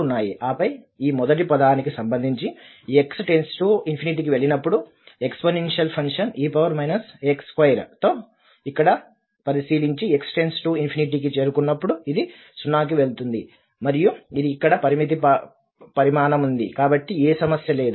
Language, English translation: Telugu, And then regarding this first term when x goes to infinity, so if we take a look here with the exponential function e power minus a x square and when x approaches to infinity, this will go to 0 and this is a finite quantity sitting, so there is no problem